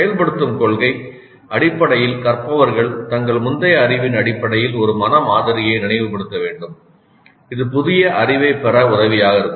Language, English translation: Tamil, The activation principle essentially says that the learners must recall a mental model based on their prior knowledge which would be helpful in receiving the new knowledge